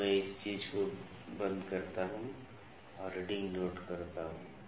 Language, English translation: Hindi, Now, I lock this thing and note the reading